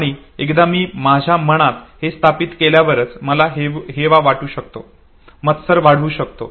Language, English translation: Marathi, And once I establish this within me then only I can have the sense of envy, I can develop jealousy